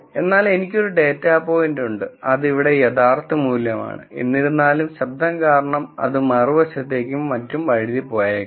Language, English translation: Malayalam, So, I could have a data point, which is true value here; however, because of noise it could slip to the other side and so on